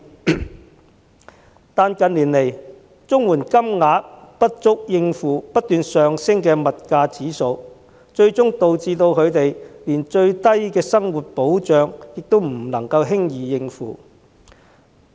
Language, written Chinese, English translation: Cantonese, 然而，近年來，綜援金額不足以應付不斷上升的物價，最終導致他們連最低的生活需要也不能夠輕易應付。, However in recent years CSSA payments have failed to cover the ever - increasing commodity prices eventually causing difficulties in them meeting the most basic needs in daily living